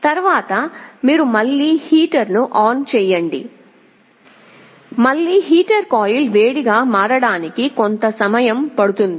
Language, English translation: Telugu, Later, you again turn on the heater, again heater will take some time for the coil to become hot